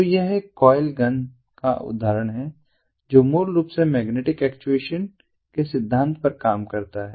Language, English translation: Hindi, so this is an example of a coil gun which basically works on the principle of magnetic actuation